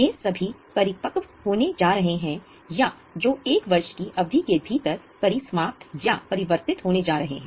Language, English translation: Hindi, These are all going to mature or which are going to be liquidated or converted within a period of one year